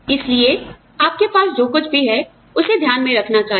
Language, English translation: Hindi, So, whatever you have, should be taking into account